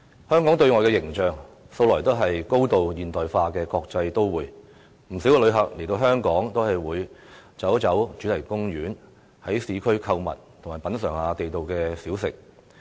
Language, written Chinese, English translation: Cantonese, 香港對外的形象素來也是高度現代化的國際都會，不少旅客來到香港也會到主題公園，在市區購物，品嚐地道小食。, Externally Hong Kong has always been presenting an impression of a highly modernized international metropolis . Many visitors come to Hong Kong to visit theme parks shop in urban areas and taste local food